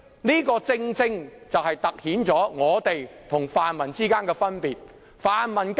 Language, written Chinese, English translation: Cantonese, 這點正好突顯我們跟泛民之間的分別。, This argument has demonstrated the difference between us and the pan - democrats